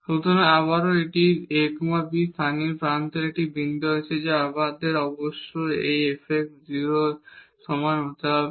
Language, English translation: Bengali, So, again to have that this a b is a point of local extremum we must have that this f x is equal to 0